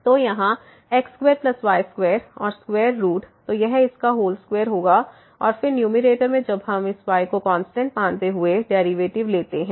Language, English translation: Hindi, So, here square plus square and the square root; so this will be its whole square and then, in the numerator when we take the derivative treating this y as constant